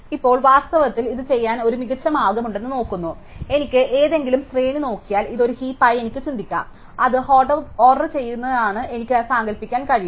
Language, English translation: Malayalam, Now, in fact it turns out that there is a better way to do this, so if I look at any array I can think of this as a heap I can just imagine that it is ordered